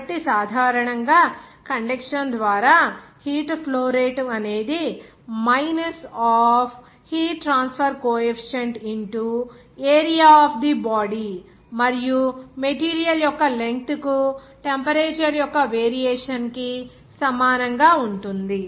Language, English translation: Telugu, So, it is generally expressed as rate of heat flow by conduction is equal to minus of heat transfer coefficient into area of the body and variation of the temperature per length of the material